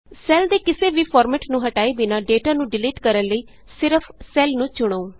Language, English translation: Punjabi, To delete data without removing any of the formatting of the cell, just select a cell